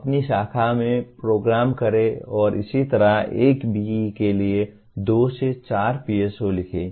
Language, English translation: Hindi, program in your branch and similarly write two to four PSOs for a B